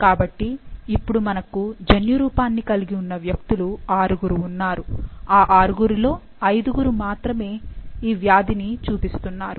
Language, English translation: Telugu, So, this brings us that there are 6 individuals who has the genotype, but out of 6, only 5 are showing the disease